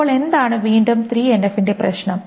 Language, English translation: Malayalam, So this is all about 3NF